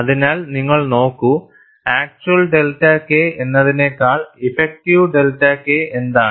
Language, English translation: Malayalam, So, you look at, what is the effective delta K, rather than the actual delta K